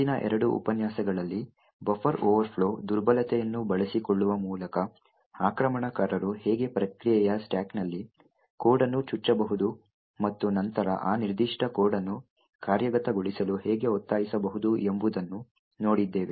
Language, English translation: Kannada, In the previous two lectures what we have seen was how an attacker could inject code in the stack of another process by exploiting a buffer overflow vulnerability and then force that particular code to execute